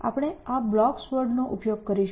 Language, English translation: Gujarati, So, we will use this blocks world